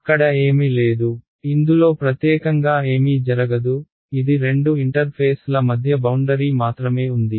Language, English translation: Telugu, There is no; there is nothing special happening at this, it is just a boundary between two interfaces